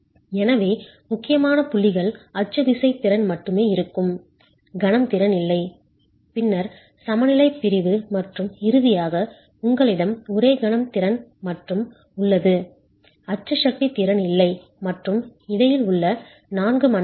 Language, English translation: Tamil, So critical points would be only axial force capacity, no moment capacity, then the balance section, and then finally you have only moment capacity, no axial force capacity, and the four zones in between